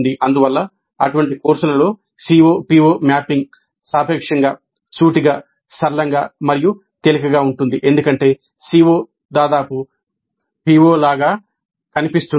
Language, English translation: Telugu, Thus COPO mapping in such courses tends to be relatively straightforward, simple and easy because the CO almost looks like a PO